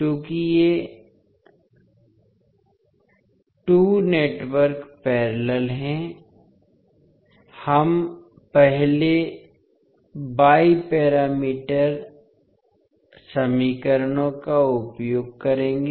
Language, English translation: Hindi, Since these 2 networks are in parallel, we will utilise first Y parameter equations